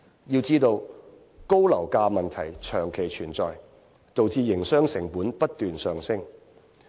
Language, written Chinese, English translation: Cantonese, 要知道，高樓價問題長期存在，導致營商成本不斷上升。, We have to note that the long - standing problem of high property prices have led to escalating operation costs